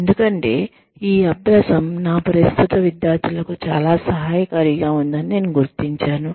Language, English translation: Telugu, Because, I found this exercise, to be very helpful, for my current students